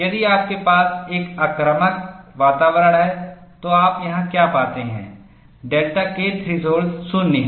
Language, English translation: Hindi, If you have an aggressive environment, what you find here is, the delta K threshold is 0